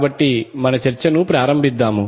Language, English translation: Telugu, So let us start our discussion